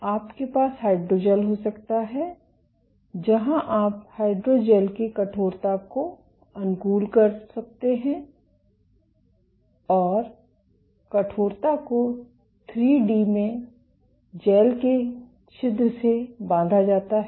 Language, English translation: Hindi, So, you can have hydrogels, where you can tune the stiffness of the hydrogels and stiffness is closely tied to porosity of the gels in 3D